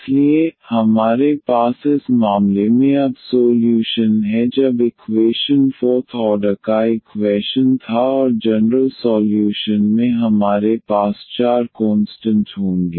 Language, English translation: Hindi, So, we have the solution now in this case when the equation was the fourth order equation and we will have the four constants in the general solution